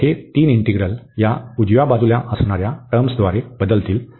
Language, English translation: Marathi, So, these three integrals will be replaced by these right hand side terms